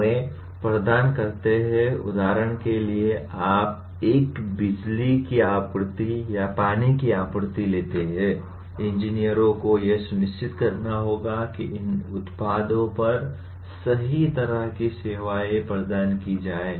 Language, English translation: Hindi, They provide services on for example you take a electric supply or water supply, the engineers will have to make sure right kind of services are provided on these products